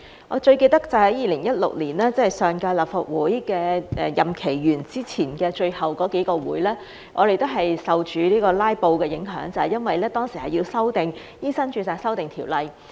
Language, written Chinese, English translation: Cantonese, 我最記得就是2016年，即上屆立法會的任期完結前的最後那幾次會議，我們都受到"拉布"影響，就是因為當時要修訂《醫生註冊條例》。, I remember most clearly that in 2016 in the last few meetings before the end of the last term of the Legislative Council we were affected by filibusters because we wanted to amend the Medical Registration Ordinance back then